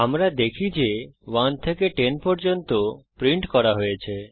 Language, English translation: Bengali, We see that, the numbers from 1 to 10 are printed